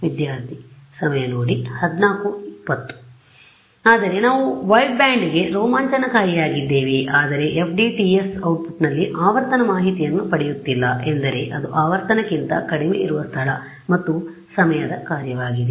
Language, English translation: Kannada, No, but we are exciting into the wideband, but I am not getting frequency information in my FDTSs output is what E as a function of space and time below frequency